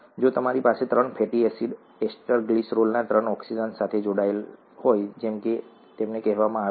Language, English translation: Gujarati, If you have three fatty acids attached to the three oxygens of the glycerol through ester linkages, as they are called